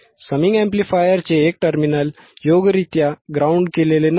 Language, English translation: Marathi, One of the terminals of the summing amplifier was not properly grounded